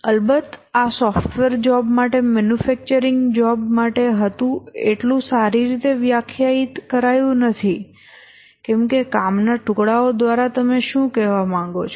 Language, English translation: Gujarati, Of course, this was for a manufacturing job, for a software job, it's not so well defined that what do we mean by pieces of work completed